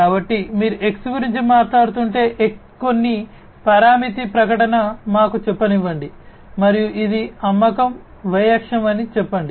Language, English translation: Telugu, So, if you are talking about something X let us say some parameter advertisement let us say and let us say that this is the sale the Y axis right